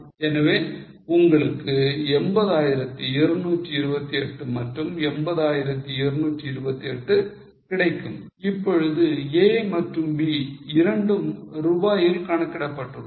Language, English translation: Tamil, So, you get 80228 and 802 8, both of A and B